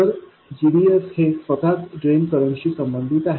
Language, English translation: Marathi, So the GDS itself is proportional to the drain current